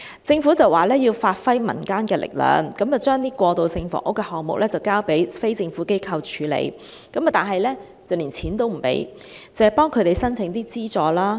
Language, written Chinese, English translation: Cantonese, 政府表示要發揮民間力量，把過渡性房屋的項目交由非政府機構處理，但不撥款，只為它們申請資助。, According to the Government the community should be mobilized and that the transitional housing schemes should be taken up by NGOs . Nevertheless no funding will be provided and there will only be assistance for them to apply for funding support